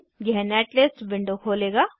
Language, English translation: Hindi, This will open up the Netlist window